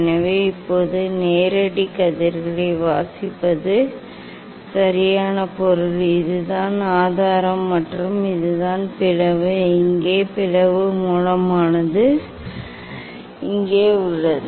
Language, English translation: Tamil, So now, reading for direct rays right means this is the source and this is the slit is here slit source is here